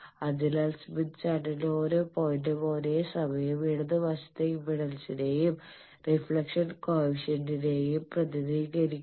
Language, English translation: Malayalam, So, each point on smith chart simultaneously represents impedance the left side as well as a reflection coefficient